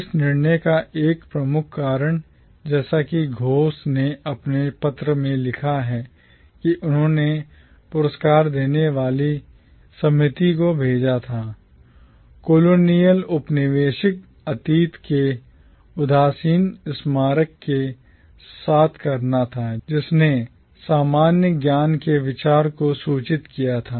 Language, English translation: Hindi, One major reason for this decision, as Ghosh writes in his letter that he sent to the award giving committee, had to do with the nostalgic memorialisation of the colonial past which informed the idea of commonwealth